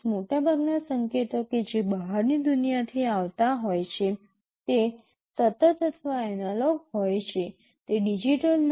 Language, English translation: Gujarati, Most of the signals that are coming from the outside world they are continuous or analog in nature, they are not digital